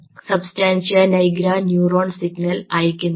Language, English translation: Malayalam, substantia nigra neuron is not sending a signal